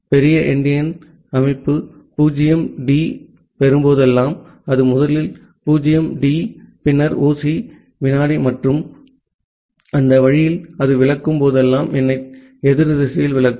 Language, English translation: Tamil, And whenever it big endian system will get 0D, it will put the 0D first, then the 0C second and that way whenever it will interpret it will interpret the number just in the opposite direction